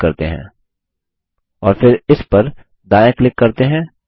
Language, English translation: Hindi, Let us click on it And then right click on it